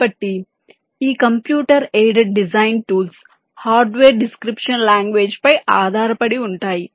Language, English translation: Telugu, ok, so this computed design tools are based on hardware description languages